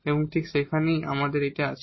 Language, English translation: Bengali, And that is exactly what we have there